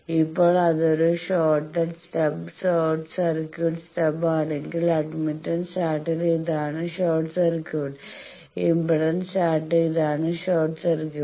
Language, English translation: Malayalam, So, this is the in the admittance chart this is the short circuit, in the impedance chart this is the short circuit